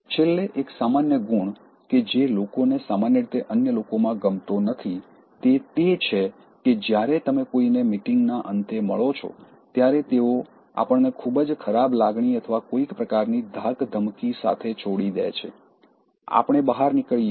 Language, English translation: Gujarati, Last, but not the least, one overall trait that people generally disliked in others is that, when you meet someone at the end of the meeting these are those people they leave us with a very bad feeling or some kind of intimidation, we go out with some kind of nervousness, fear, we feel threatened, we feel insecure